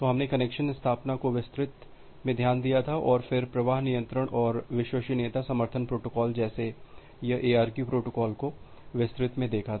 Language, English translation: Hindi, So, we have looked into the connection establishment in details and then, the flow control and reliability support protocols like this ARQ protocols in details